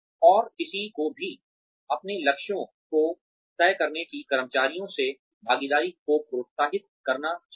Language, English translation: Hindi, And, one should also encourage participation, from the employees in deciding their goals